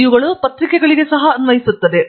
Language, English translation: Kannada, And, these are also applicable for newspapers